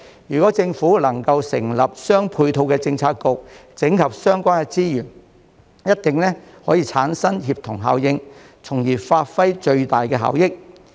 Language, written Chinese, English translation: Cantonese, 如果政府能夠成立相應政策局整合相關資源，一定能產生協同效應，從而發揮最大效益。, If the Government can establish a corresponding Policy Bureau to consolidate the relevant resources this will definitely achieve a synergy effect and maximize the benefits